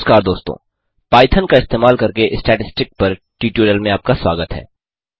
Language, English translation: Hindi, Hello friends and welcome to the tutorial on Statistics using Python